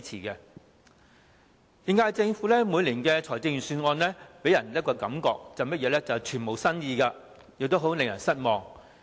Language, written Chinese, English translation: Cantonese, 現屆政府每年的財政預算案均予人一種感覺，便是全無新意，令人十分失望。, Every year the Budget of the current - term Government gives us the impression of a total lack of new ideas which is greatly disappointing